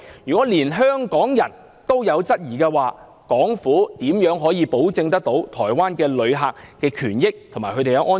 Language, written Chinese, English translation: Cantonese, 如果連香港人也有質疑，港府如何保障台灣旅客的權益及安全？, When even the people of Hong Kong are having doubts what can the Hong Kong Government do to protect the rights and safety of Taiwan visitors?